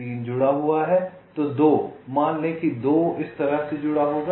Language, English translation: Hindi, lets say three will be connected like this: three is connected